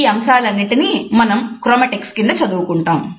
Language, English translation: Telugu, So, these aspects we would study under chromatics